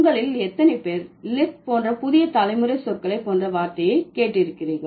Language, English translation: Tamil, How many of you have heard the term like the new generation words like lit